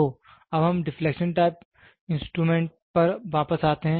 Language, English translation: Hindi, So, now let us get back to the deflection type measuring instruments